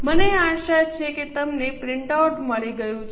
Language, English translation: Gujarati, I hope you have got the printout